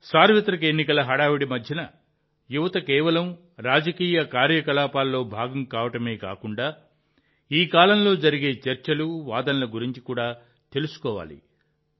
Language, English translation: Telugu, Amidst this hustle and bustle of the general elections, you, the youth, should not only be a part of political activities but also remain aware of the discussions and debates during this period